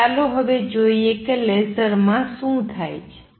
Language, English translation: Gujarati, So, let us see now what happens in a laser